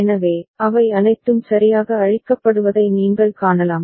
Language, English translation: Tamil, So, you can see that all of them are cleared right